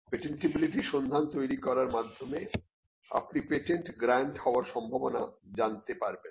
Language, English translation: Bengali, By generating a patentability search, you would know the chances of a patent being granted